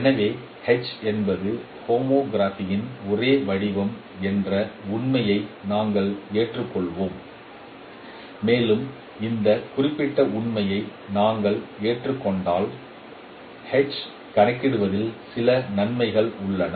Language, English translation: Tamil, So we will accept this fact that H is the only form of homography and this has certain advantages in computing H if we accept this particular fact